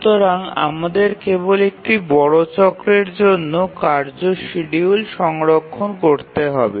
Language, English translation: Bengali, So, we need to store only the task schedule for one major cycle